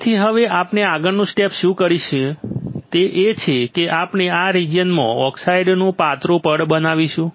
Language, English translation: Gujarati, So, now what we will do next step is we will grow a thin layer of oxide in this region